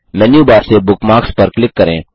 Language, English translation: Hindi, From the Menu bar, click on Bookmarks